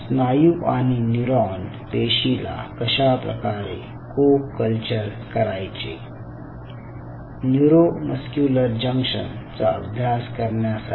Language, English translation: Marathi, so one and the other challenge was how to co culture a muscle and a neuron cell type to study neuromuscular junction